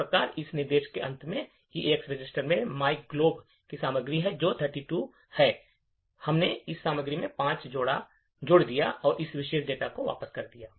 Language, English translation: Hindi, Thus, at the end of this instruction the EAX register has the contents of myglob which is 32, we added 5 to this contents and return this particular data